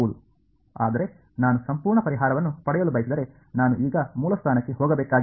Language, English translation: Kannada, But if I want to get the complete solution, there is no escape I have to go to the origin now ok